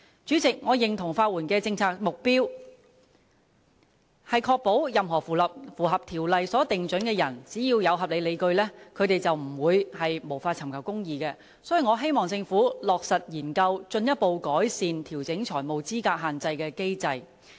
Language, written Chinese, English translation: Cantonese, 主席，我認同法援的政策目標，是確保任何符合有關條例所訂準則的人，只要有合理理據，便不會無法尋求公義，所以我希望政府落實研究進一步改善調整財務資格限額的機制。, President I agree that the policy objective of the provision of legal aid is to ensure no one with reasonable grounds and satisfying the criteria laid down in the relevant laws will be denied access to justice . Hence I hope the Government will take forward the study to further enhance the financial eligibility limit adjustment mechanism